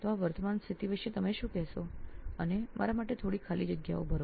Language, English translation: Gujarati, So what is your take on the current scene that is there and fill some gaps for me